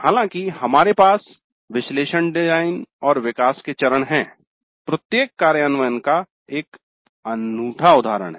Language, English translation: Hindi, Though we have the analysis, design and develop phase, each implementation is a unique instance